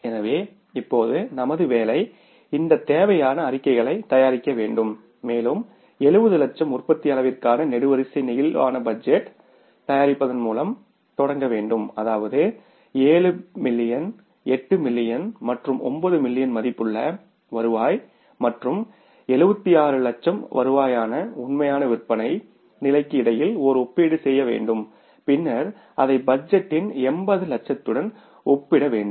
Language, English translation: Tamil, So, now our job is we have to prepare these required statements and we have to start with preparing the columnar flexible budget for the three levels of production that is the 70 lakhs means that is for the 7 millions 8 millions and 9 millions worth of the revenue and then we will have to make a comparison between the actual sales activity level that is 76 lakhs revenue and then comparing it with the 80 lakhs of the budget so budget we are given here is 80 lakhs is 76 lakhs